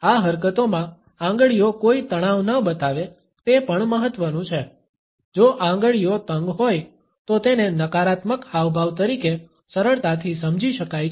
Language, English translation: Gujarati, It is also important that fingers do not show any tension in this gesture, if the fingers are tense then it can be understood easily as a negative gesture